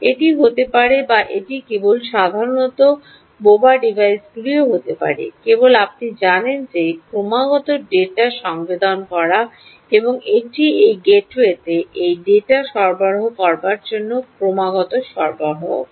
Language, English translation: Bengali, it could be that, or it could be just there also, simple dumb devices, just you know, constantly sensing data and giving it to this, supplying this data constantly to this gateway, ok, so